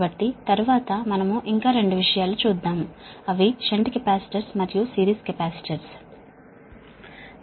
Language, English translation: Telugu, so next is we will come to another two thing, that is that shunt capacitors and series capacitors, right